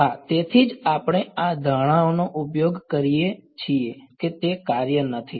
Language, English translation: Gujarati, Yes, that is why we use this assumption that is not it is not a function